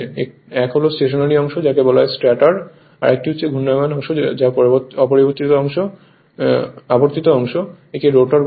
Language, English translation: Bengali, 1 is stationeries part that is called stator another is rotating part or revolving part, we call it as rotor right